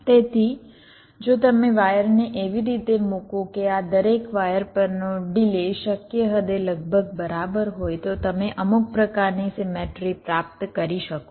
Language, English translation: Gujarati, so so if you lay out the wires in such a way that the delay on each of this wires will be approximately equal, to the extent possible, then you can achieve some kind of a symmetry